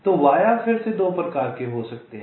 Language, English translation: Hindi, ok, so via again can be of two types